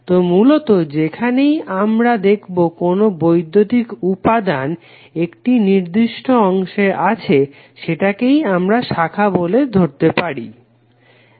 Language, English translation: Bengali, So basically were ever we see the electrical elements present that particular segment is called a branch